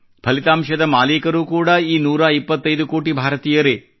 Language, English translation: Kannada, The outcome also belongs to 125 crore Indians